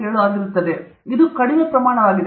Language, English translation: Kannada, 7 which is a low quantity